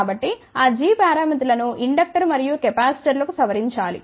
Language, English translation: Telugu, So, those g parameters have to be modified for inductor and capacitors